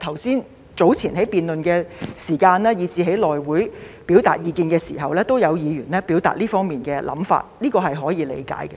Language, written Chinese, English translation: Cantonese, 早前在辯論時間，以及在內會表達意見時，也有議員表達這方面的想法，這是可以理解的。, During the debate earlier and in the House Committee some Members have also voiced this opinion which is understandable